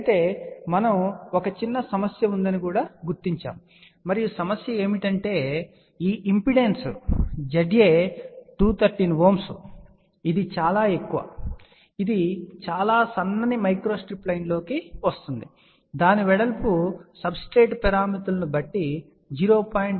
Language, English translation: Telugu, However we had noted that there is a small problem, and the problem is that this impedance Z a is 213 ohm, which is very very high which results into a very thin microstrip line, the width of that may be of the order of 0